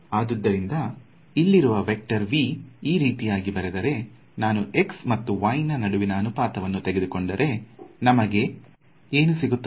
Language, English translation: Kannada, So, this vector V over here is going to be given by this quantity over here right, you can see that if I take the ratio of the y component to the x component what do I get